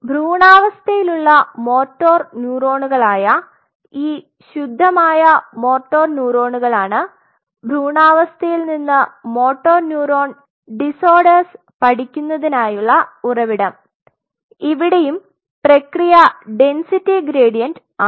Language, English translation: Malayalam, So, these pure motor neurons which are the embryonic motor neuron EMN embryonic motor neuron are the source of studying motor neuron disorders from embryonic system and again the process is density gradient